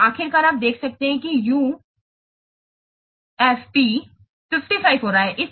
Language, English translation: Hindi, So, finally you are observing that UAP is coming to be 55